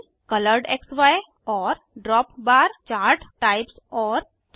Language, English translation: Hindi, Bubble, ColoredXY and DropBar chart types and 4